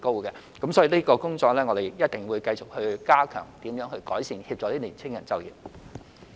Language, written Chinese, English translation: Cantonese, 因此，我們一定會繼續加強有關工作，改善及協助年輕人就業。, Hence we will definitely continue stepping up the relevant work to enhance and facilitate youth in securing employment